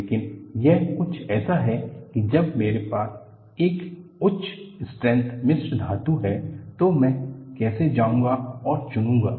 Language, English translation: Hindi, But, this is more like, when I have a high strength alloy, how do I go about and pick out